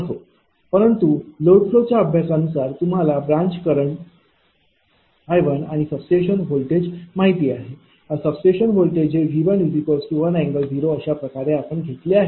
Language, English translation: Marathi, So, whatever, but from the load flow studies, you know this your how to call that branch current I 1 and this voltage substation voltage is known to you, this voltage is V 1 is equal to in this case one angle 0 we have taken